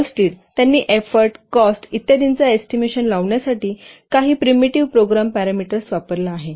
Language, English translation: Marathi, Hullstead we have used a few primitive program parameters in order to estimate effort cost etc